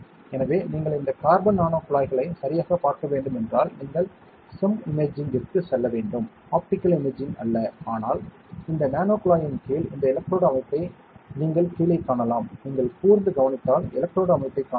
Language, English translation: Tamil, So, if you have to see these carbon nano tubes properly you have to go for SEM imaging, not optical imaging, but underneath this nanotube you can see this electrode structure here below, you can if you look closely you can see the electrode structure